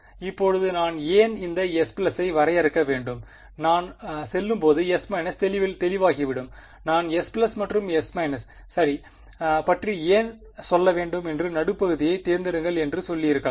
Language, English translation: Tamil, Now, why I need to define this S plus and S minus will become clear as I go I may as well just have said pick the midpoint why to tell you about S plus and S minus ok